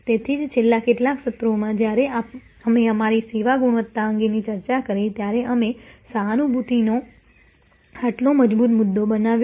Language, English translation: Gujarati, So, that is why, in the last few sessions, when we discussed our service quality, we made empathy such a strong point